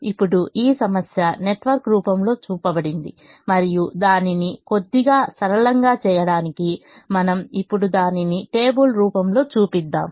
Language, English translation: Telugu, now this problem is shown in the form of a network and to make it little simpler, we now show it in the form of a table